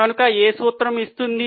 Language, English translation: Telugu, So, what is a formula